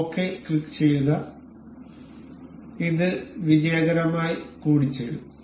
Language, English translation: Malayalam, Click ok, this is mated successfully